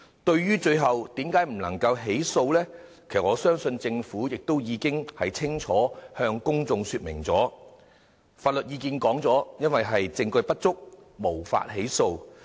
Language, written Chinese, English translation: Cantonese, 至於最後為何無法提出起訴，我相信政府已清楚向公眾說明，就是徵詢法律意見後認為證據不足，無法起訴。, Why was prosecution not initiated eventually? . I think the Government has already made it clear to the public that prosecution could not be initiated due to insufficient evidence as per legal advice